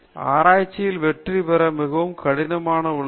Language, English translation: Tamil, Success in research is very difficult